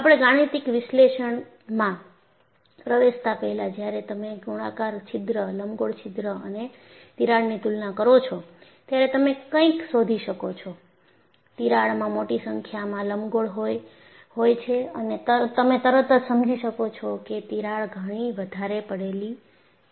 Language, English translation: Gujarati, So, before we get into a mathematical analysis, when you compare the role of a circular hole, elliptical hole, and crack, you find the crack has the large number of fringes, and you can immediately get an understanding that crack is lot more dangerous